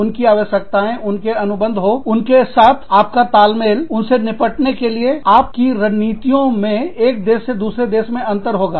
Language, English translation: Hindi, Their requirements, their contracts, your understanding with them, your strategies for dealing with them, will vary from, country to country